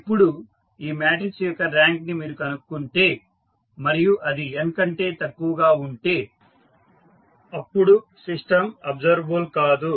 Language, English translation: Telugu, Now, when you find the rank of this matrix and this rank is less than n, the system is not observable